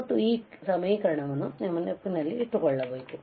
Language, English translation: Kannada, And you have to remember this equation